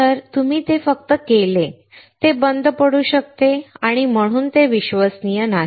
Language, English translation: Marathi, Once you do it, it might come off, it and hence it is not reliable